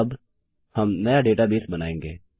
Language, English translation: Hindi, Now, well create a new database